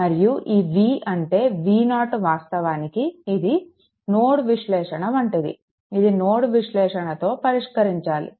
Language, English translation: Telugu, And this V V 0 actually that is something like a nodal analysis it is nodal analysis